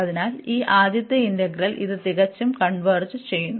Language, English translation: Malayalam, This integral converges